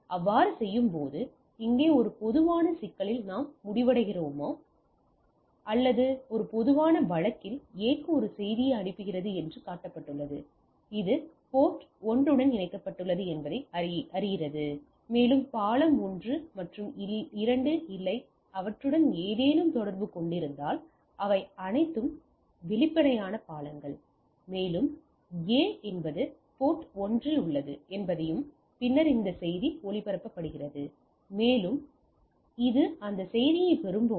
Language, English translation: Tamil, In doing so whether we are end up in a some problem right here in this a typical case it is shown that A is sending to D a message and it is it learns that A is connected to port 1, and bridge 1 and 2 does not have any connection to those are all transparent bridges and it also LANs that this is A is at 1 port 1, and then this message is broadcasted and the when this gets that message